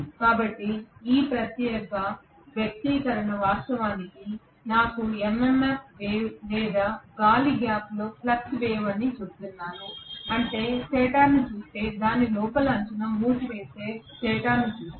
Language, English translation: Telugu, So this particular expression actually tells me that what I get as the MMF wave or the flux wave in the air gap that is if I look at stator which is having the winding along its inner periphery like this